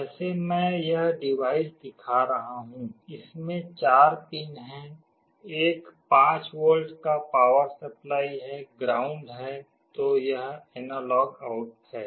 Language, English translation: Hindi, Like I am showing this device, it has four pins; one is the power supply 5 volts, ground, then this is analog out